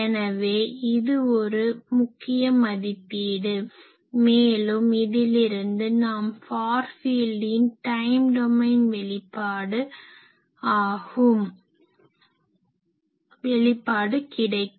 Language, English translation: Tamil, So, this is an important evaluation and from this we can also just find the time domain expression of the far field